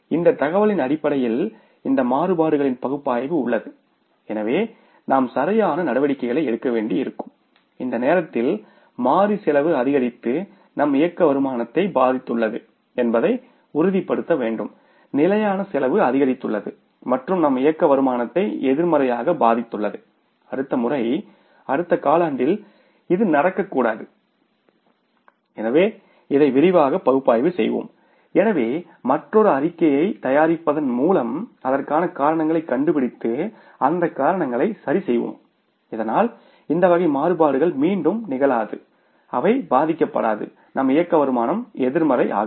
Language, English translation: Tamil, We will have to find out now the detailed analysis of this column we have to do and we have to further dissect these variances that why this negative variance is in the variable cost have occurred, why there are the negative variances in the fixed cost have means why the fixed cost has gone up, why the variable cost has gone up, why the negative variances are in the variable cost, why the negative variances are in the fixed cost and we will have to go for the further analysis of this column and on the basis of this information analysis of these variances we will have to take the corrective actions and we will have to make sure that this time the variable cost has increased and affected our operating income, fixed cost has increased, affected our operating income negatively, this should not happen in the next quarter next time